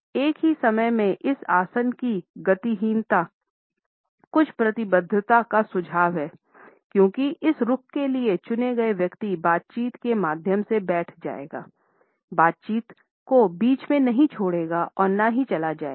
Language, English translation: Hindi, At the same time the immobility of this posture suggest a certain commitment because the person who is opted for this stance would sit through the conversation, would not leave the negotiations in the middle and walk away